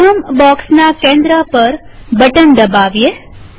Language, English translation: Gujarati, Let us click at the centre of the first box